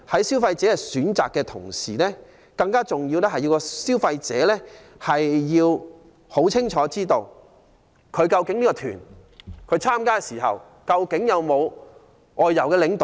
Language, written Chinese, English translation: Cantonese, 消費者在選擇的同時，更重要是要清楚知道，參加的旅行團究竟有否安排外遊領隊？, While consumers can make their own choices it is important to inform them whether the tour groups they join will be accompanied by outbound tour escorts